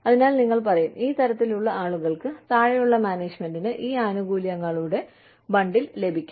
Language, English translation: Malayalam, People at this level, say, the lower management, will get this bundle of benefits